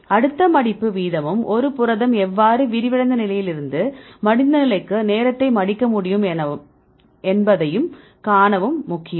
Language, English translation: Tamil, So, next folding rate is also important to see how a protein can fold from the unfolded state to the folded state regarding the time